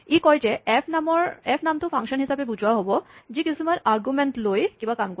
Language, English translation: Assamese, It says, the name f will be interpreted as a function which takes some arguments and does something